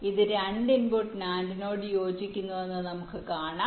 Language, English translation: Malayalam, let say this corresponds to a, two input, nand